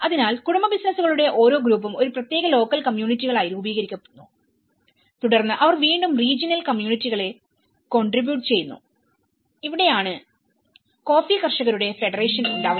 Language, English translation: Malayalam, So each group of family businesses constitute a particular local communities and then again they contribute with the regional communities and this is where the coffee growers federation you know